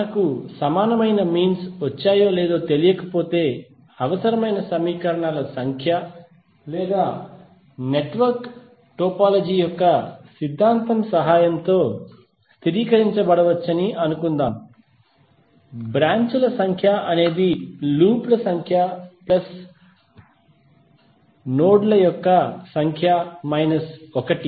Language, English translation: Telugu, We also discussed that suppose if we do not know whether we have got equal means the required number of equations or not that can be stabilized with the help of theorem of network topology which says that number of branches equal to number of loops plus number of nodes minus 1